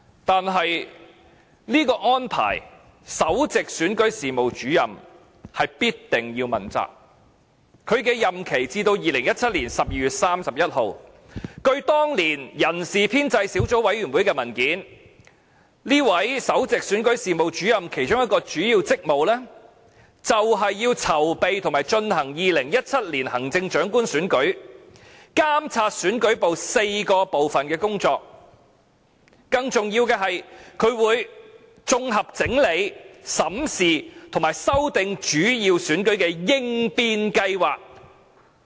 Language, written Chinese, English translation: Cantonese, 但是，就這個安排，首席選舉事務主任必定要問責，他的任期至2017年12月31日，據當年人事編制小組委員會的文件，這位首席選舉事務主任其中一個主要職務是，籌備和進行2017年行政長官選舉，監察選舉部4個分部的工作，更重要的是，他會綜合整埋、審視和修訂主要選舉的應變計劃。, The Principal Electoral Officer must be held responsible for this arrangement . Her term of office will last until 31 December 2017 and according to a paper submitted to the Establishment Subcommittee one of the chief duties of the Principal Electoral Officer was to plan and organize the 2017 Chief Executive Election and she is also responsible for overseeing the work of four sub - divisions under the Elections Division . More importantly she must also consolidate review and revise contingency plans for the major elections